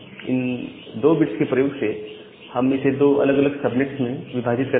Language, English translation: Hindi, And using 2 bit, I can safely divide it into two subnets